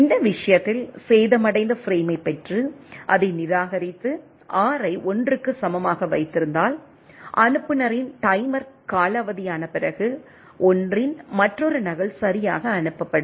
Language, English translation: Tamil, In this case, if receive the damaged frame and discards it and keep the R equal to 1, after the timer at the sender expires, another copy of the 1 is sent right